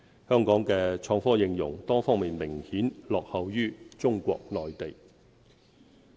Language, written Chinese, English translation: Cantonese, 香港的創科應用，多方面明顯落後於中國內地。, Hong Kongs application of innovation and technology notably trails the Mainland of China in various aspects